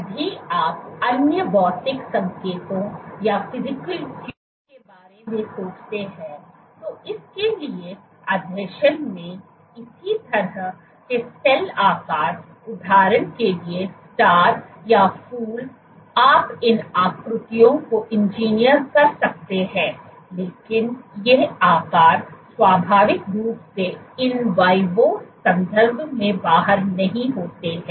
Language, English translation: Hindi, In adhesion to this if you think of the other physical cues, this kind of cell shapes for example star or flower you can engineer these shapes, but these shapes do not naturally occur inside out in vivo context